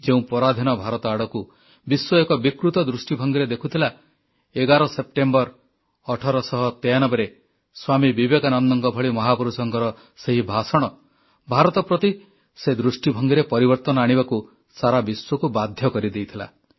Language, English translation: Odia, The enslaved India which was gazed at by the world in a much distorted manner was forced to change its way of looking at India due to the words of a great man like Swami Vivekananda on September 11, 1893